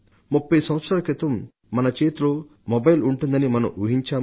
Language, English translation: Telugu, Twenty years ago who would have thought that so many mobiles would be in our hands